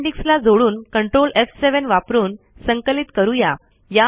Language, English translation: Marathi, Add an appendix, compile it using ctrl f7, has three pages